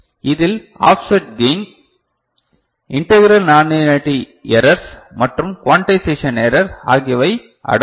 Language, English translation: Tamil, It includes offset gain, integral nonlinearity errors, and also quantization error